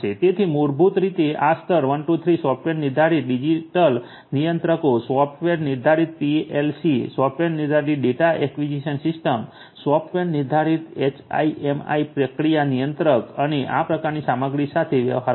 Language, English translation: Gujarati, So, basically these levels 1 2 3 will deal with stuff like you know software defined digital controllers, software defined digital controllers, software defined PLCs, software defined data acquisition systems, software defined HMI process control and so on